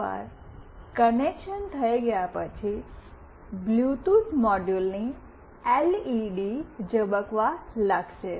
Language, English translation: Gujarati, Once the connection is made, the LED of the Bluetooth module will start blinking